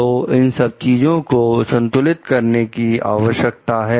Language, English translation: Hindi, So, all these things needs to be balanced